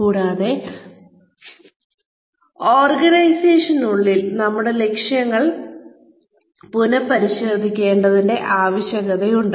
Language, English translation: Malayalam, And, within the organizations, there is a need to, maybe, revisit our objectives